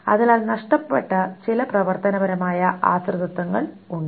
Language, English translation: Malayalam, So there are certain functional dependencies that are lost